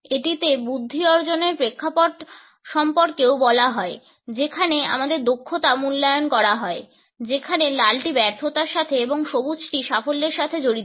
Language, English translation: Bengali, It is said also about the intellectual achievement context in which our competence is evaluated, where red is associated with failure and green is associated with success